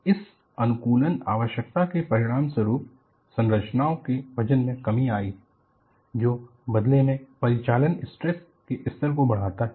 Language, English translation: Hindi, And these optimization requirements have resulted in reduction in the weight of structures, which in turn leads to, enhanced operating stress levels